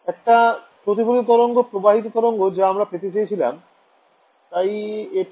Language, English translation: Bengali, A reflected wave, transmitted wave those are the waves that I expect right; so, this